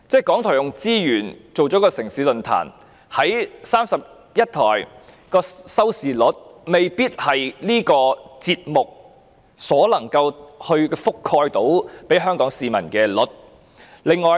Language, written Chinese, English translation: Cantonese, 港台動用資源製作"城市論壇"，將節目在31台播放，但因未必能夠覆蓋全香港市民，有關收視率便受影響。, RTHK uses its resources to produce City Forum to be broadcast on Channel 31 but since the coverage may not include all the people of Hong Kong the viewership will be affected